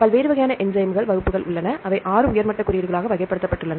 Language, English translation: Tamil, There are different types of enzyme classes, they are classified into 6 top level codes right